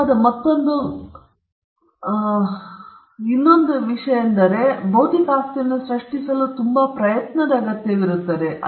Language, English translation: Kannada, Yet another trait which is not common, but nevertheless it’s a trait, is the fact that it requires effort to create intellectual property